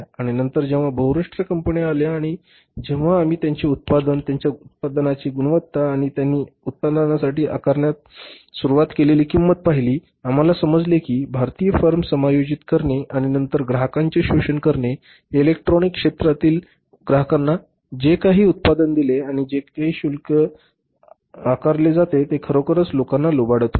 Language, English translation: Marathi, And later on when the multinationals came up and when they we saw their product the quality of their product and the price which they started charging for the product we came to know that these existing Indian forms but exploiting the customers the customers in the electronic industry whatever the product they were providing to us and the price they were charging they were really looting the people